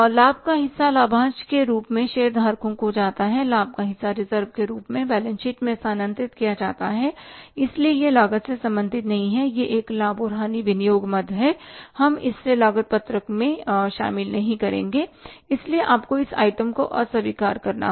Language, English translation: Hindi, Part of the profit goes to the shareholders as dividend, part of the profit is transferred to the balance sheet as reserves so it is not at all related to the cost it is a profit and loss appropriation item and we will not include in the cost sheet anymore